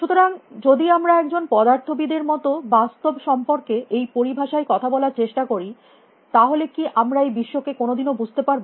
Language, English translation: Bengali, So, if we try to talk about reality in these terms like a physicist, can we ever make sense of this world out there